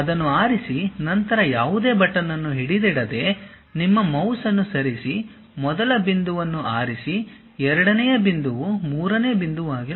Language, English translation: Kannada, Pick that, then move your mouse without holding any button, pick first point, second point may be third point